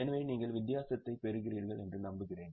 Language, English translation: Tamil, So, I hope you are getting the difference